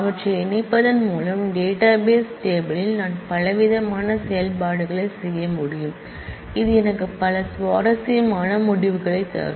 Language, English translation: Tamil, And combining them I can do several different operations in a database table which can give me several interesting results